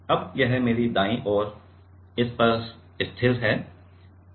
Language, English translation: Hindi, Now, this is fixed to this to my hand right